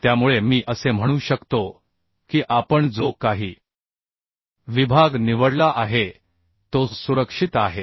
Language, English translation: Marathi, So I can say that the section, whatever we have choosing, is safe, right